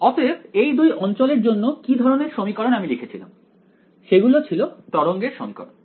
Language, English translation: Bengali, So, what kind of equation did we write for these 2 regions there were the wave equation right